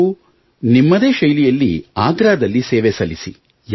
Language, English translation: Kannada, No, in your own way, do it in Agra